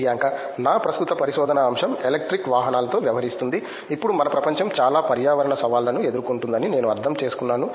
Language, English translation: Telugu, My current research topic deals with electric vehicles, now that we see that I mean our world itself is facing a lot of environmental challenges